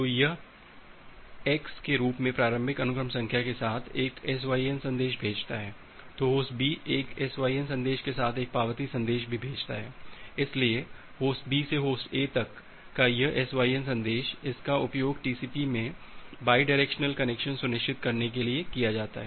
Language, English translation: Hindi, So, it sends a SYN message with the initial sequence number as x, then Host B sends an acknowledgment message along with also a SYN message, so this SYN message from Host B to Host A, it is used to ensure the bidirectional connection in TCP